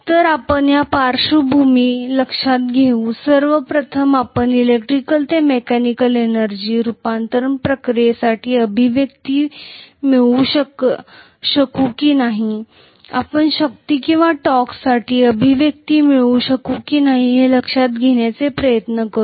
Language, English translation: Marathi, So let us try to first of all see with this background in mind whether we would be able to get an expression for electrical to mechanical energy conversion process, whether we would be able to get an expression for force or torque